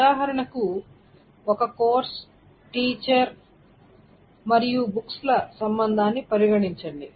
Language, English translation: Telugu, So for example, consider the relationship of a course and teacher and book